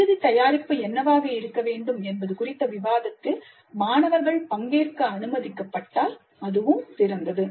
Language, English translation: Tamil, And if students are allowed to participate in the discussion regarding what should be the final product, that is also great